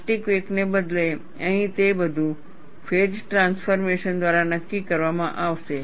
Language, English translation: Gujarati, Instead of the plastic wake, here it would all be dictated by the phase transformation